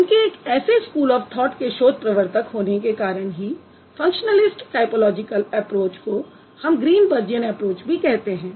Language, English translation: Hindi, So, he being the founding researcher of such a school of thought, we call functionalist typological approach as Greenbergian approach